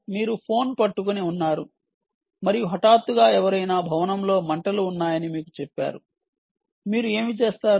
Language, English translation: Telugu, you are holding the phone and suddenly tells someone, tells you that there is fire in the building